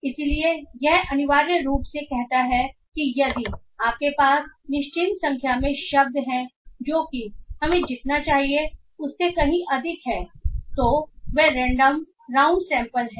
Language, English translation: Hindi, So it essentially says that if you have a certain number of words that is much more than what we require, they are randomly down sampled